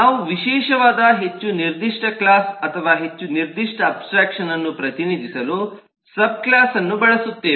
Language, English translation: Kannada, we will use subclass to represent specialised, more specific class or more specific abstraction